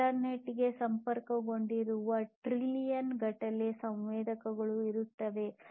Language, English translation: Kannada, There would be trillions of sensors connected to the internet